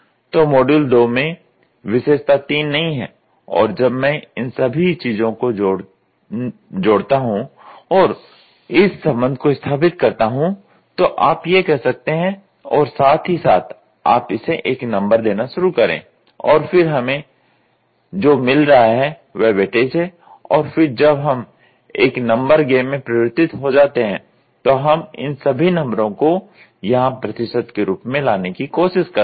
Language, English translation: Hindi, So, feature 3 model 2 does not even have are modules 2 does not even have, feature 3 there is nothing you can have and when I sum of all these things I when I do this relationship you can say this and as well as you can start giving a number for it, and then what we get is the weightages and then when we converted into a number game we try to get all these numbers here in terms of percentage, ok